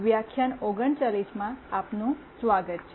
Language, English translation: Gujarati, Welcome to lecture 39